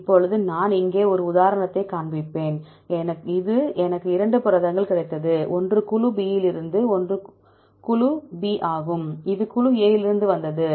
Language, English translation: Tamil, Now, I will show an example here this is I got 2 proteins, one is the from group B this is group B here, this is from group A